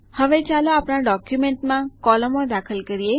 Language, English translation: Gujarati, Now lets insert columns into our document